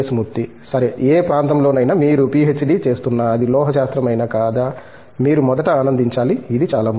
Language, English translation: Telugu, Okay for that matter, any area if you are doing PhD whether it is metallurgy or not, you should first enjoy this is very important